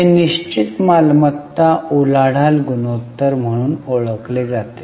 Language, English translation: Marathi, This is fixed asset turnover ratio as it is known as